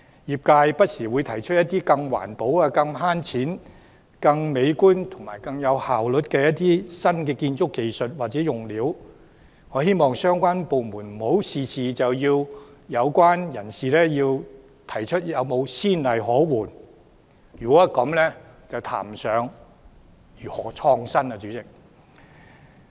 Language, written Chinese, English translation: Cantonese, 業界不時會提出一些更環保、更省錢、更美觀、更有效率的新建築技術或用料，我希望相關部門不要事事都要求相關人士提出有何先例可援，這樣便談不上如何創新了。, Our sector often proposes to adopt some new building technologies and materials which are more environmentally friendly economical aesthetical and efficient . I hope that the departments concerned will not always ask the persons concerned for precedent cases on all matters . If this is the case innovation is out of the question